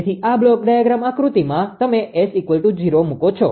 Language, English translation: Gujarati, So, in this block diagram you put S is equal to 0